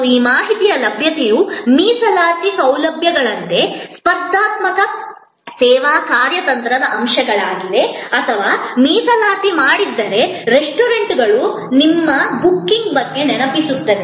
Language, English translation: Kannada, And these, availability of these information are elements of competitive service strategy as are reservation facilities or if the reservation has been done, then remainder from the restaurant to the customer